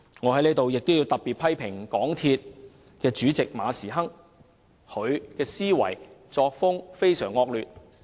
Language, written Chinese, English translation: Cantonese, 我在此要特別批評港鐵公司主席馬時亨，他的思維和作風非常惡劣。, Here I have to particularly criticize MTRCL Chairman Frederick MA whose thinking and style of work are deplorable